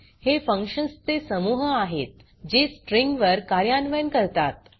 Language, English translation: Marathi, These are the group of functions implementing operations on strings